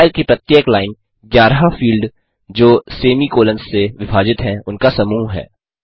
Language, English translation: Hindi, Each line in the file is a set of 11 fields separated by semi colons